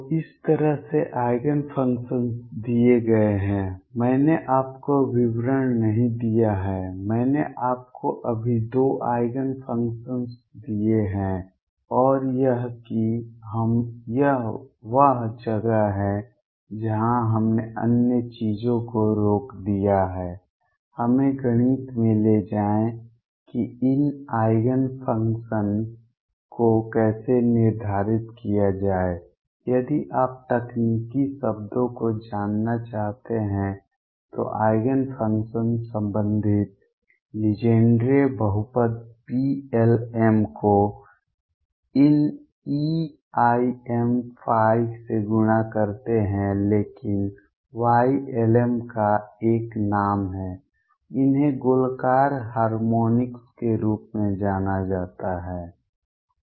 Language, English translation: Hindi, So, this is how the Eigenfunctions are given I have not given you details, I have just given you 2 Eigen functions right and that us, what it is this is where we stopped other things take us into mathematics of how to determine these Eigen functions, if you want to know the technical terms the Eigenfunctions comes out come out to be the associated Legendre polynomials P l ms multiplied by this these e raise to i m phi, but the Y l ms is have a name these are known as a spherical harmonics